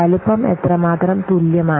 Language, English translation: Malayalam, Size is equal to how much